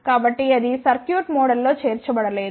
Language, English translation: Telugu, So, that is not included in the circuit model